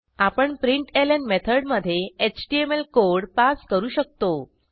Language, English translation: Marathi, In the println method we can pass html code